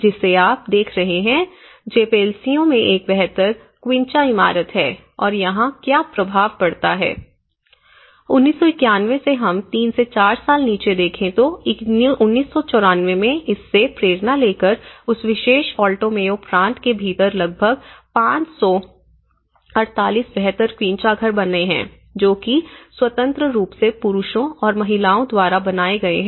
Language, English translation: Hindi, See, this is one of the, this building what you are seeing is an improved quincha building in Jepelacio and here what is the impact, by from 1991 we move on to 3 to 4 years down the line in 1994, it has about 558 improved quincha houses within that Alto Mayo province and there are also, by taking the inspiration there are many have been built in that particular province independently by both men and women